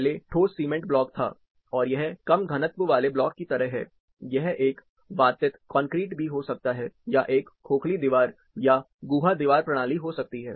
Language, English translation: Hindi, The earlier was solid cement block, this is like a low density block, it can be an aerated concrete, or a hallow wall cavity wall system